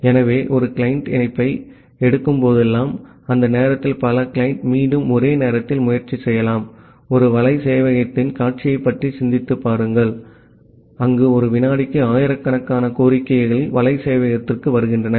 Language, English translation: Tamil, So, whenever it is taking the connection one client, during that time multiple client can again try simultaneously, just think of the scenario of a web server, where thousands of request are coming to the web server per second